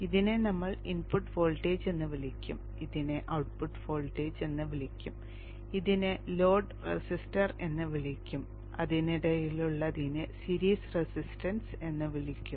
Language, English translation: Malayalam, We will call this one as V in, the input voltage, we'll call this as the output voltage, we will call this as the load resistor, and we will call this as the series resistance which is in between